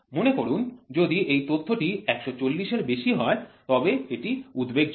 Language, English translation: Bengali, Suppose if let us assume that the data if it is anything more than 140 is alarming